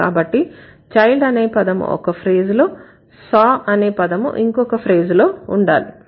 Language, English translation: Telugu, So, child should be in a different phrase and saw should be in a different phrase